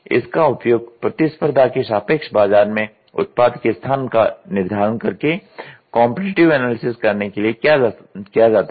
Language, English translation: Hindi, It is used to perform a competitive analysis by determining the product place in the market relative to the competition